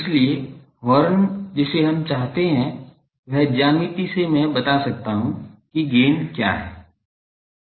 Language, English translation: Hindi, So, horn we know from it is geometry I can tell what is the gain